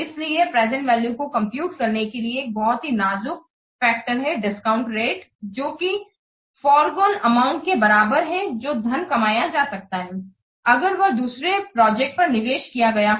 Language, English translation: Hindi, So, so a critical factor to consider in computing the present value is a discount rate which is equivalent to the forgone amount that the money could earn if it were invested in a different project